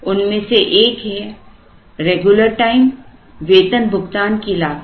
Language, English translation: Hindi, This is like regular time payroll cost